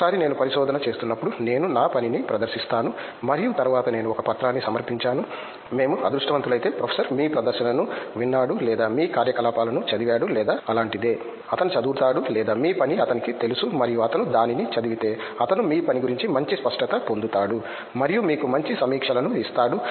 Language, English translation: Telugu, Once I go to a research, I present my work and later I submit a paper, when professor if we are lucky he listened to your presentation or read your proceedings or something like that; he reads or the he knows your work and he reads it he will get a better clarity of your work and give you better reviews